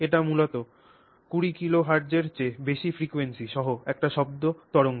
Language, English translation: Bengali, So, it's basically a sound wave with frequency greater than 20 kilohertz